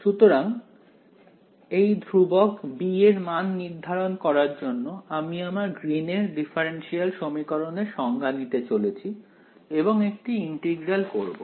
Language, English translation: Bengali, So, to evaluate this constant b, I am going to take my definition of my Green’s differential equation over here and do an integral ok